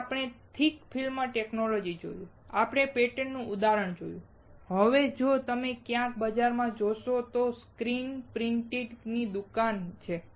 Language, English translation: Gujarati, Then we saw thick film technology, we saw an example of a pattern, and now if you go somewhere may be in market there is a screen printing shop